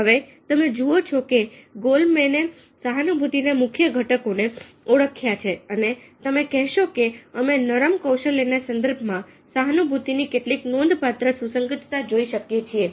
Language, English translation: Gujarati, you see that goleman as identified key elements of empathy and using that we can look at some of the very, very significant relevance is of the empathy in the context of soft skills